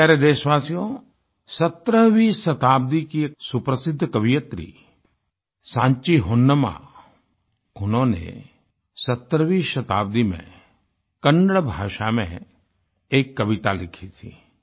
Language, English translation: Hindi, My dear countrymen, the well known 17th century poetess Sanchi Honnamma has penned a poem in Kannada that embodies the same thought, the same words pertaining to every Lakshmi of India that we referred to